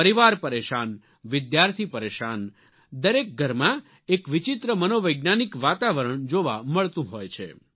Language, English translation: Gujarati, Troubled families, harassed students, tense teachers one sees a very strange psychological atmosphere prevailing in each home